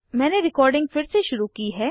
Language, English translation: Hindi, Ok, I have resumed recording